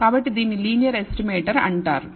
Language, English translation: Telugu, Therefore, it is known as a linear estimator